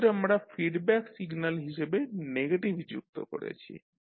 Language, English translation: Bengali, So here we have added negative as a feedback signal